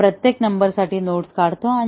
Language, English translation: Marathi, And each of those numbers, we make nodes out of that